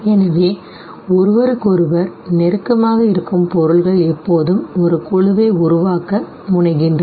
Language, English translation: Tamil, So objects which are nearer to each other they always tend to form a group